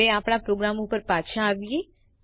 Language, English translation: Gujarati, Now let us come back to our program